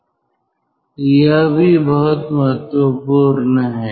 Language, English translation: Hindi, so that is also very important